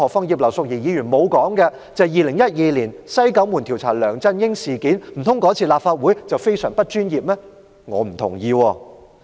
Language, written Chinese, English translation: Cantonese, 葉劉淑儀議員沒有提及2012年立法會調查梁振英"西九門"事件，難道那次立法會做得非常不專業嗎？, Mrs Regina IP did not mention the inquiry into the West Kowloon - gate incident involving LEUNG Chun - ying by the Legislative Council in 2012 . Did the Legislative Council do an unprofessional job on that occasion?